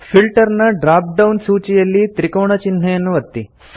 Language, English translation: Kannada, In the Filter drop down list, click the triangle